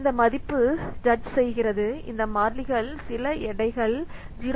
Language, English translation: Tamil, So these values are these constants are some weights constants are some weights 0